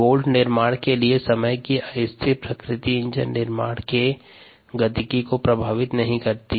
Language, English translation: Hindi, the unsteady nature, time varying nature of bolt manufacture does not affect the kinetics of enzyme of engine manufacture